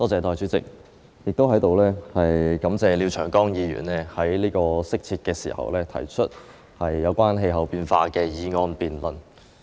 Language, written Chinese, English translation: Cantonese, 代理主席，在此，我感謝廖長江議員在這個適切的時候提出有關氣候變化的議案作辯論。, Deputy President here I wish to thank Mr Martin LIAO for proposing a motion on climate change for our debate at this appropriate moment